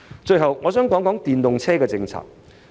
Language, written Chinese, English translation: Cantonese, 最後，我想談談電動車政策。, Lastly I would like to talk about the electric vehicle EV policy